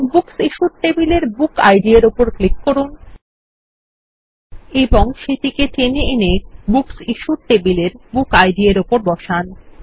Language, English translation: Bengali, Now, let us click on the Book Id in the Books table and drag and drop it on the Book Id in the Books Issued table